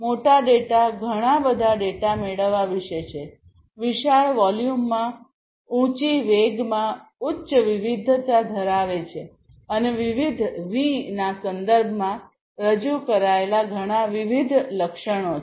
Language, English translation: Gujarati, So, big data is about you know getting lot of data, coming in huge volumes in high velocity of you know having high variety, and so, many different attributes typically represented in the terms of different Vs